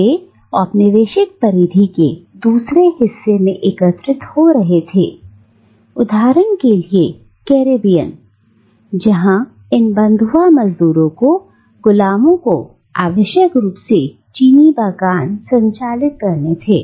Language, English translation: Hindi, But they were gathering in another part of the colonial periphery, like for instance, the Caribbean where these bonded labourers, these slave labour was necessary to run the sugar plantations, for instance